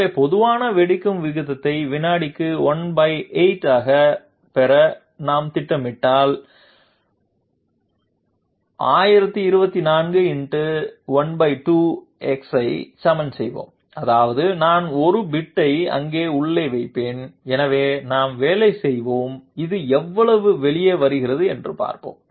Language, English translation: Tamil, So, if we are planning to get the slowest detonation rate at one eighth per second, let us equate 1024 divided by 2 to the power x into 1 that means I will put a 1 bit there inside, so let us work out and see how much that comes out to be